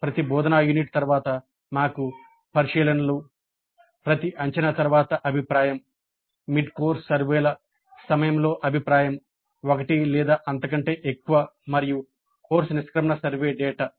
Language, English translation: Telugu, So we have observations after every instruction unit, then feedback after every assessment, then feedback during mid course surveys one or more, then the course exit survey data